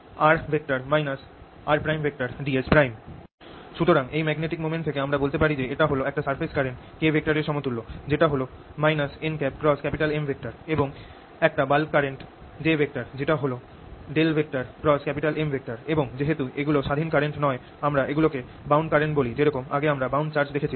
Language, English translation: Bengali, so we get from this magnetic moment that it is equivalent to a surface current, k, which is equal to minus n cross m, and a bulk current, j, which is curl of m, and since these are not free currents, we call them bound currents, just like we had bound charges earlier